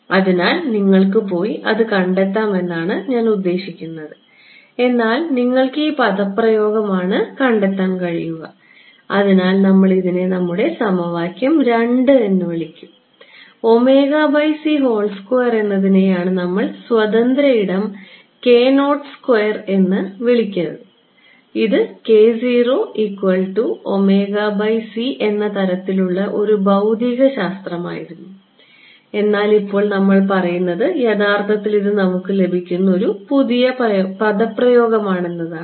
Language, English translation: Malayalam, So, I mean you can go and derive it, but you can see this is the expression that you will get right so, this we will call this our equation 2 right and this omega by c whole squared is what we called the sort of free space k naught square right, this was some physics k naught k naught was omega by c, but now we are saying that oh this is actually, this is the new expression that we are getting